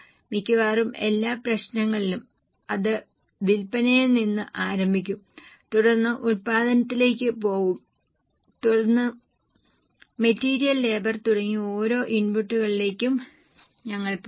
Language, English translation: Malayalam, In almost every problem it will start from sales then go to production and then we will go to each of the inputs like material, labour and so on